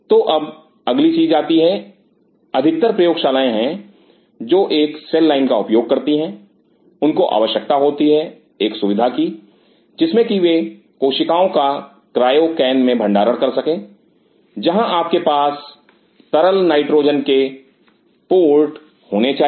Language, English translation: Hindi, So, now, next thing comes most of the labs who use a cell lines they needed a facility to store cells in cryocans where you have to have liquid nitrogen ports